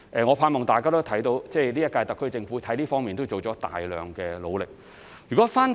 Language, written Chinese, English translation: Cantonese, 我盼望大家也看到，今屆特區政府在這方面已作出大量的努力。, I hope Honourable Members can see that the current - term SAR Government has devoted a lot of efforts to this end